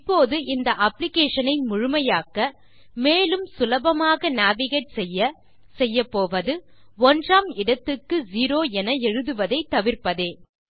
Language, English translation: Tamil, Now what I will do to make this application fully functional and easy to navigate, is eliminate the necessity to write zero for 1